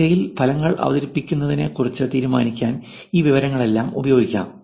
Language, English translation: Malayalam, All of this information can be used to actually decide on presenting the search results